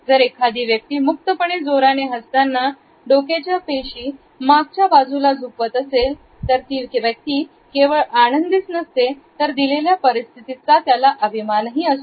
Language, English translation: Marathi, On the other hand, if a person is smiling openly and broadly and the head was backward tilt then the person is not only pleased, but the person is also proud of oneself in the given situation